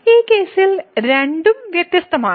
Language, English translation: Malayalam, So, both are different in this case